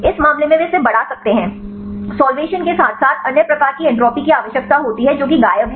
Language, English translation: Hindi, In this case they may it increase, require the solvation as well as the other types of entropy terms thats missing